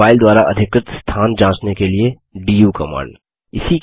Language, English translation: Hindi, du command to check the space occupied by a file